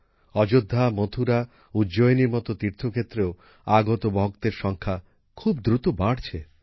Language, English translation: Bengali, The number of devotees visiting pilgrimages like Ayodhya, Mathura, Ujjain is also increasing rapidly